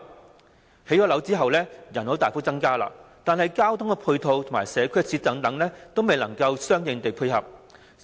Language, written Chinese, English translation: Cantonese, 在興建住宅樓宇後，人口便會大幅增加，但交通配套及社區設施等均未能相應地配合。, After the construction of residential buildings the population will increase substantially but there are inadequate ancillary transport and community facilities